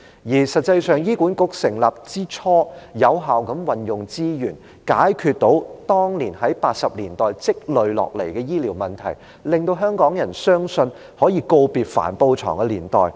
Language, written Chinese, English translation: Cantonese, 而實際上，醫管局成立之初是有效地運用資源，成功解決當年，即1980年代積累的醫療問題，令香港人相信，可以告別帆布床的年代。, In reality when HA was first established it could make use of the resources effectively and succeeded in resolving the then healthcare problems accumulated in the 1980s and hence Hong Kong people believed that we could bid farewell to the canvas beds era